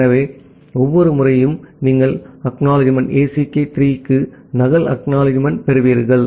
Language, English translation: Tamil, So, every time you will receive a duplicate ACK for ACK 3